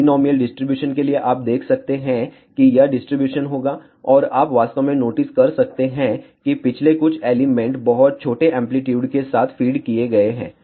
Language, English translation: Hindi, For binomial distribution you can see this will be the distribution, and you can actually notice that the last few elements are fed with very very small amplitude